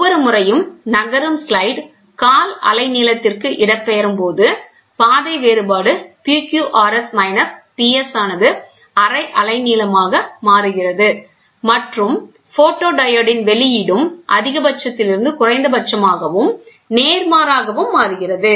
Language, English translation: Tamil, Each time the moving slide is displaced by a quarter wavelength, the path difference PQRS minus PS becomes half a wavelength and the output of the photodiode also changes from maximum to minimum and vice versa